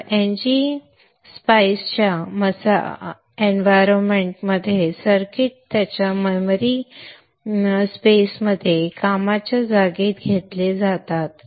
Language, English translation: Marathi, So the NG Spice environment has the circuit taken into its memory space, workspace